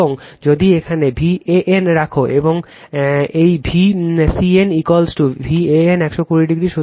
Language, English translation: Bengali, And if you put V AN here and this V CN is equal to V AN 120 degree